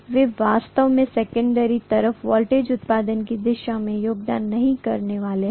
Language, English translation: Hindi, They are not going to really contribute towards the voltage production on the secondary side